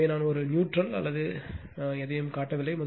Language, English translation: Tamil, So, I am not showing a neutral or anything